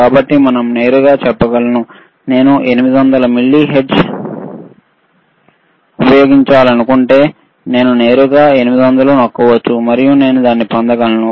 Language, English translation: Telugu, So, 800 millihertz, I can directly press 800 and I can get it